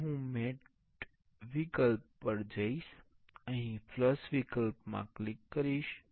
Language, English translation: Gujarati, Now, I jump to the mate option I will click here in the flush option